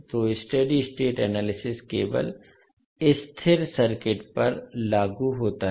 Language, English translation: Hindi, So the study state analysis is only applicable to the stable circuits